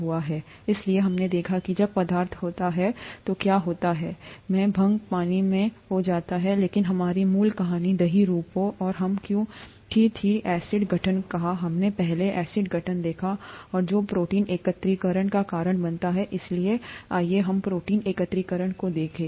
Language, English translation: Hindi, So we looked at what happens when a substance dissolved in, is gets dissolved in water, but our original story was why curd forms and we said acid formation, we saw acid formation earlier, and which causes protein aggregation, so let us look at protein aggregation